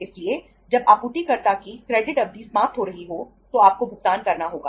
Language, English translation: Hindi, So when the supplier’s credit period is coming to an end, you have to make the payment